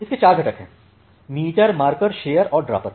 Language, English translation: Hindi, So it has four components – meter, marker, shaper and dropper